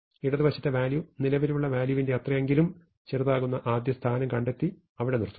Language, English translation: Malayalam, It finds the first position such that the value on the left, is at least as small as the value currently looking for and stops there